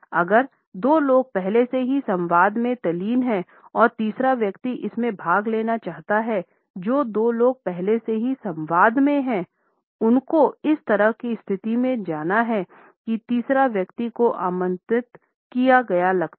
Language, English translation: Hindi, If two people are already engross in the dialogue and the third person wants to participate in it, the two people who are already in the dialogue have to move in such a position that the third person feels invited